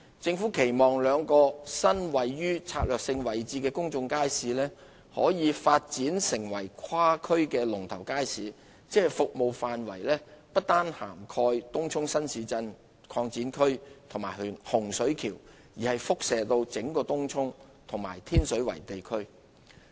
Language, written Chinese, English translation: Cantonese, 政府期望兩個位於策略位置的新公眾街市，可發展成跨區的"龍頭街市"，即服務範圍不單涵蓋東涌新市鎮擴展區及洪水橋，亦可輻射至整個東涌及天水圍地區。, It is hoped that these two new public markets located in strategic locations can be developed into cross - district leading markets serving not only Tung Chung New Town Extension and Hung Shui Kiu New Development Area but be extended to cover the entire Tung Chung area and Tin Shui Wai district as a whole